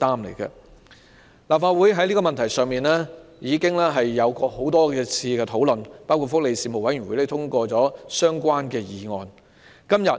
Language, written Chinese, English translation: Cantonese, 立法會已多次討論這個問題，包括福利事務委員會已通過相關的議案。, The Legislative Council has discussed this issue on many occasions including the fact that the Panel on Welfare Services has passed a relevant motion on it